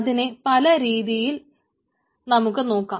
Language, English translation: Malayalam, there are different way to look at it